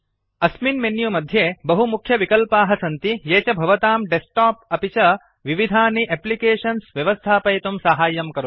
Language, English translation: Sanskrit, This menu has many important options, which help you to manage your desktop and the various applications